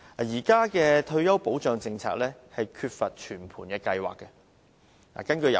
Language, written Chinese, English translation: Cantonese, 現行的退休保障政策缺乏全盤計劃。, The existing retirement protection policy lacks comprehensive planning